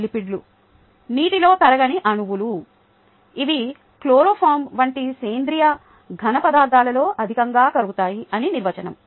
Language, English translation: Telugu, lipids are water insoluble molecules which are highly soluble in organic solids such as chloroform